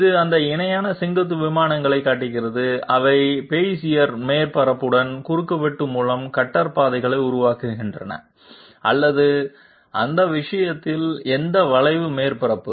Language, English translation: Tamil, It shows those parallel vertical planes which are producing cutter paths by intersection with the Bezier surface or for that matter any curved surface